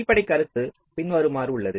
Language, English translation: Tamil, ok, so this is the basic idea